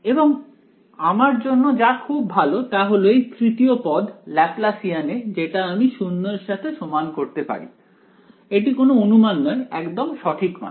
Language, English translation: Bengali, And as great for me because this guy the third term in this Laplacian can be set to 0; it is not an approximation it is exact right